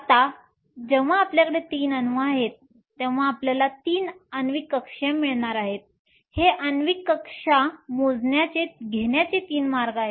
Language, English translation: Marathi, Now, when we have 3 atoms we are going to get 3 molecular orbitals, there are 3 ways of obtaining this molecular orbitals